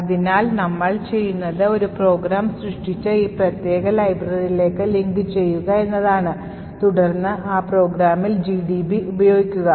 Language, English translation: Malayalam, So, what we do is that, create a program link it to this particular library and then use GDB on that program